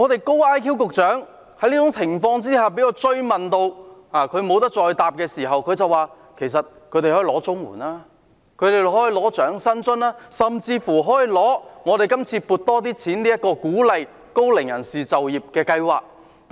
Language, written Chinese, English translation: Cantonese, "高 IQ 局長"被我追問到不知如何回答時，便表示高齡人士可以領取綜合社會保障援助、長者生活津貼，受惠於這次獲多撥資源旨在協助高齡人士就業的計劃。, When the Secretary with high IQ being further pressed by me for a reply did not know how to respond he could only say that elderly persons can apply for the Comprehensive Social Security Assistance CSSA and the Old Age Living Allowance and benefit from the employment programmes for which more resources have been committed this time around to help elderly persons seek jobs